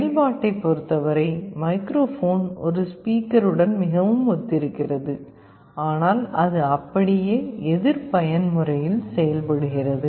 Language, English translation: Tamil, In terms of functionality internally the arrangement is very similar to that of a speaker, but it works in exactly the opposite mode